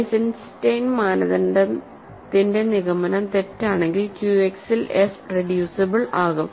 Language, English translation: Malayalam, If the conclusion of the Eisenstein criterion is false, then f is reducible in Q X